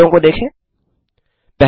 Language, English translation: Hindi, Look at the answers, 1